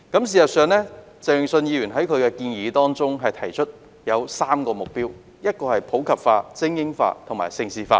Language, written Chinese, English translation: Cantonese, 事實上，鄭泳舜議員在其建議中提出3個目標，分別為普及化、精英化和盛事化。, In fact Mr Vincent CHENG has put forth three objectives in his proposal which are promoting sports in the community supporting elite sports and developing Hong Kong into a centre for major international sports events